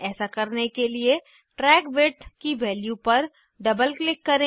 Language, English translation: Hindi, To do this double click on the value of Track Width